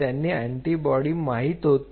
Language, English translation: Marathi, So, they know this antibody and what they did